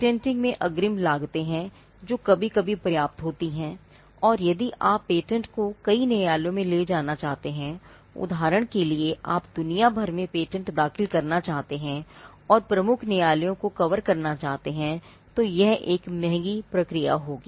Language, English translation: Hindi, There are upfront costs in patenting, which are sometimes substantial, and if you want to take the pattern to multiple jurisdictions; say, you want to file patents all over the world, cover the major jurisdictions, then it will be a expensive process to do